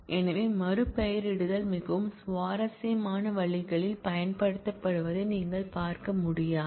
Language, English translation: Tamil, So, you cannot see the renaming is being used in very interesting ways